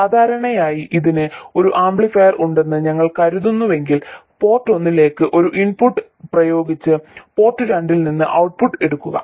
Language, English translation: Malayalam, Normally if we think of it as an amplifier apply an input to port 1 and take the output from port 2